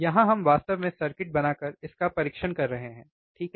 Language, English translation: Hindi, Here we are actually testing it by making the circuit, right